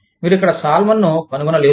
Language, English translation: Telugu, You may not even find, salmon here